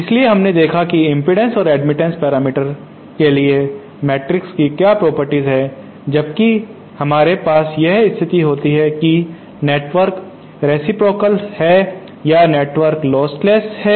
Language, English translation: Hindi, So for the impedance and admittance parameters we saw what the properties those matrices take when we have the condition that the network is reciprocal or the network is lostless